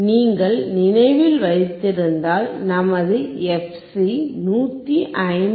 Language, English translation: Tamil, And if you remember our fc is 159